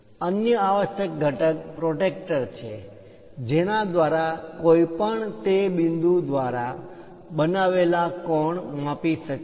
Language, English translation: Gujarati, The other essential component is protractor through which one can note the inclination angle made by that point